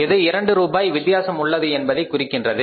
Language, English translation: Tamil, Now why this difference of 2 rupees has come up